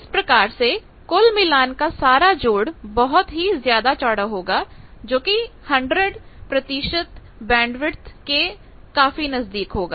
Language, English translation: Hindi, So, the overall sum total match that will be much broadened very near to 100 percent bandwidth sort of things